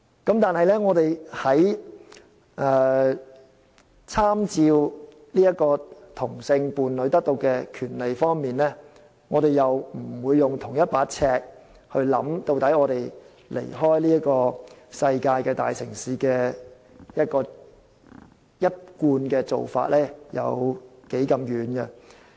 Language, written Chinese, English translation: Cantonese, 然而，在參照其他地方在同性伴侶所享有的權利方面，我們又不用相同的尺來看看究竟香港離開世界大城市的一貫做法有多遠。, However when compared to other places in terms of the rights enjoyed by same - sex partners we do not apply the same standard to gauge how far exactly Hong Kong has deviated from the established practices of major cities worldwide